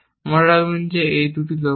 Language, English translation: Bengali, Remember, these are two goals